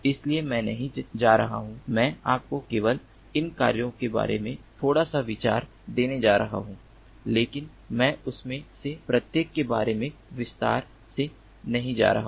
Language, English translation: Hindi, so i am not going to, i am just going to give you little bit of ah idea about these works, but i am not going to go through each of them in detail